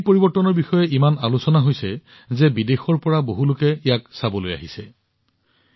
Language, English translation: Assamese, There is so much talk of this change, that many people from abroad have started coming to see it